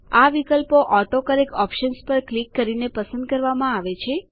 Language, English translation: Gujarati, These options are selected by clicking on the AutoCorrect Options